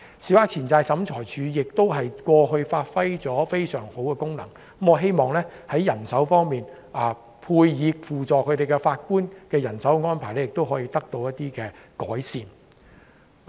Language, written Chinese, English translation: Cantonese, 小額錢債審裁處過去發揮了非常好的作用，我希望輔助法官的人手安排可以得到改善。, Given that the Small Claims Tribunal has all along been playing a very effective role I hope that improvement can be made to the manpower deployment of staff assisting the work of Judges